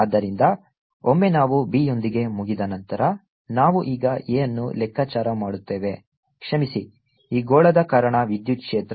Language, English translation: Kannada, so once we are done with b, we will now calculate a, the sorry ah, the electric field due to this sphere